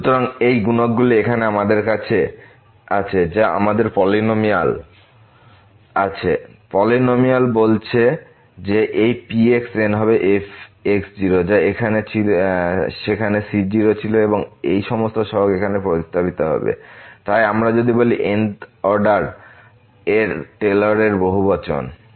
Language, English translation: Bengali, So, having these coefficients now what we have we have the polynomial, the polynomial says that this will be which was there and all these coefficients are substituted here, so this is what we call the Taylor’s polynomial of order